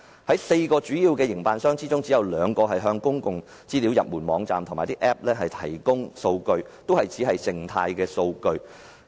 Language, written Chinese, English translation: Cantonese, 在4個主要營辦商當中，只有2個向公共資訊入門網站及 App 提供數據，但只是靜態數據。, Only two of the four major transport operators released some information to the PSI portal and Apps but the data are only static